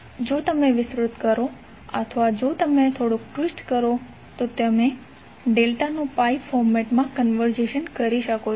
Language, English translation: Gujarati, If you expand or if you twist a little bit, you can convert a delta into a pi format